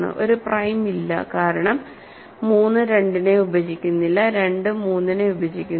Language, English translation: Malayalam, So, there is no prime, right because 3 does not divide 2, 2 does not divide 3